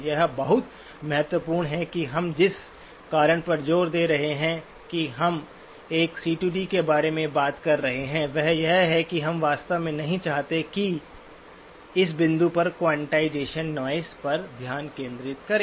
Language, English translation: Hindi, It is very important that the reason we keep emphasizing that we are talking about a C to D is that we really do not want to, at this point, focus on quantization noise